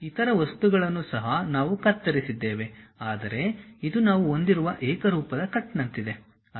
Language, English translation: Kannada, For other object also we have cut, but this is more like a uniform cut what we are having